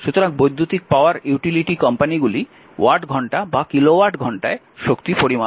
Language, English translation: Bengali, So, the electric power utility companies measure energy in watt hour or kilo watt hour right